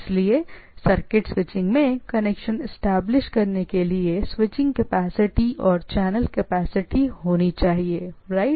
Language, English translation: Hindi, So, circuit switching must have switching capacity and channel capacity to establish connection, right